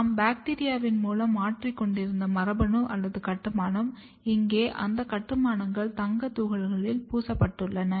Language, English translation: Tamil, The gene or the construct that we were transforming into the bacteria, here those construct are coated on the gold particles